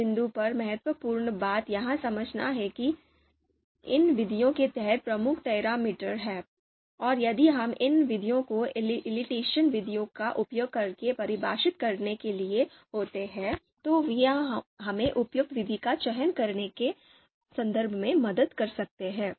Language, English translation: Hindi, Important thing at this point is to understand that there are key parameters under these methods, and if we happen to you know you know if we happen to define these key parameters using elicitation methods, then that can help us in terms of selecting an appropriate method